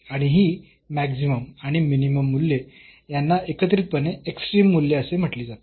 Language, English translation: Marathi, And these maximum and minimum values together these are called the extreme values